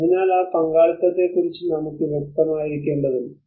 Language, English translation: Malayalam, So we need to be clear on that participation aspect